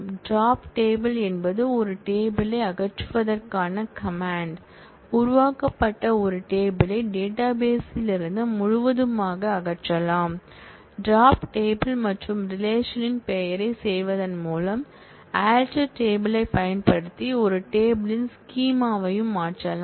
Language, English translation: Tamil, Drop table is a command to remove a table, a table that has been created can be removed from the database altogether, by doing drop table and the relation name you can also change the schema of a table by using alter table